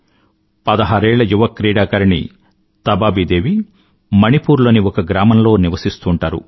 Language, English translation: Telugu, 16 year old player Tabaabi Devi hails from a village in Manipur